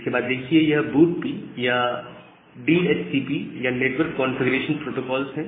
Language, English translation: Hindi, Then this BOOTP or DHCP, they are the network configuration protocol